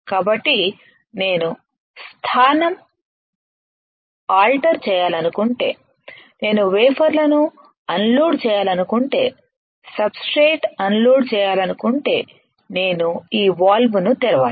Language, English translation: Telugu, So, that when we want to after the position if I want to unload the wafers unload the substrate I had to open this valve